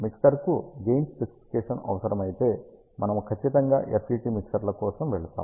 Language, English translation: Telugu, If the mixer requires a gain specification, then we will definitely go for FET mixers